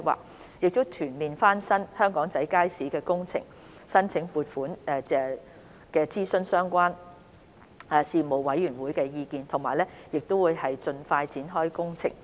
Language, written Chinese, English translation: Cantonese, 我們將會就全面翻新香港仔街市的工程申請撥款，並諮詢相關事務委員會的意見，期望盡快展開工程。, We will seek funding approval for the Aberdeen Market overhaul project and consult the relevant Panel with a view to commencing the project as soon as possible